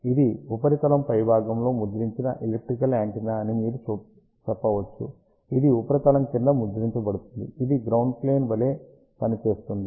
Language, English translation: Telugu, You can say that this is an elliptical antenna printed on top side of the substrate this is printed underneath of the substrate, which acts as a ground plane